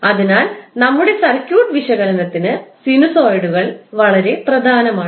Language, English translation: Malayalam, So, therefore the sinusoids are very important for our circuit analysis